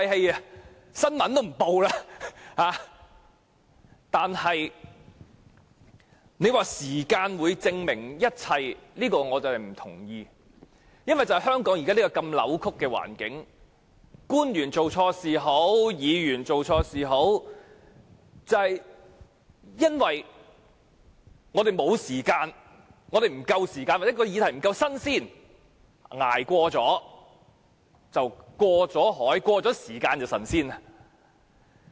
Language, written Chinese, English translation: Cantonese, 若說時間可以證明一切，我對此並不同意。因為在香港現時扭曲的環境下，官員或議員做錯事後，往往由於我們沒有足夠時間又或議題不夠新鮮，以致他們只要能捱過一段時間便可脫身。, I do not agree that time will tell everything because under the distorted system in Hong Kong at present public officers or Members who have committed mistakes can simply get away without punishment as long as they can withstand the pressure for a period of time because most of the time we do not have enough time to follow up on the relevant matters or the issues concerned have become obsolete